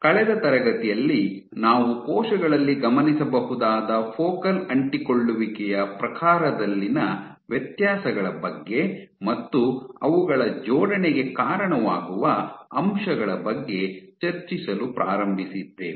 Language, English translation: Kannada, In the last class we are started discussing about differences in the type of focal adhesions that you might observe in cells and what drives their assembly